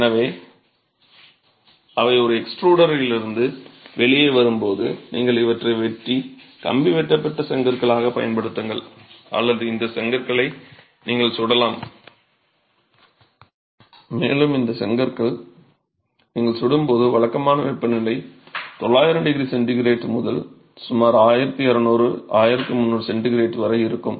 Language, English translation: Tamil, So, as they come out from an extruder, you either cut and use these as wire cut bricks or you fire these bricks and when you fire these bricks, typical firing temperatures are above 900 degrees centigrade to about 1,200,000, 300 degrees centigrade